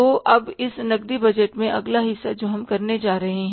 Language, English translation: Hindi, So now the next part in this cash budget we are going to do is that we will continue with this statement